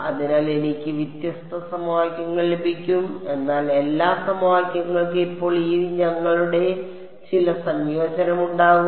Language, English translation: Malayalam, So, I will get different equations, but all equations will have some combination of this Us now